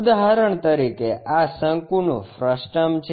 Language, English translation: Gujarati, For example, this is a frustum of a cone